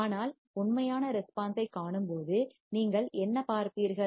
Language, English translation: Tamil, But when you see actual response, what you will see